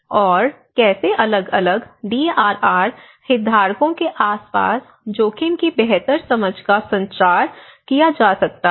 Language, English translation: Hindi, And how can an improved understanding of risk be communicated around varying DRR stakeholders